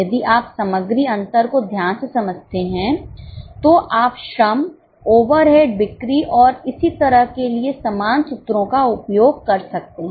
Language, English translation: Hindi, If you understand material variances carefully, you can use the similar formulas for labour, overhead, sales and so on